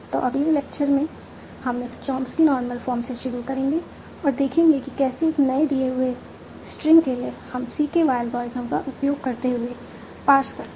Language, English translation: Hindi, So, in the next lecture we will start with the chomsy normal form and see, given a new, given a string, how do we pass it using CQi algorithm